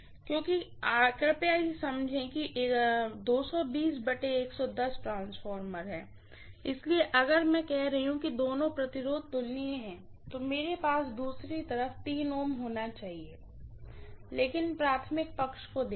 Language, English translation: Hindi, Because please understand this is 220 by 110 V transformer, so if I am saying that both the resistance are comparable, I should have the same 3 ohms on the other side, but refer to the primary side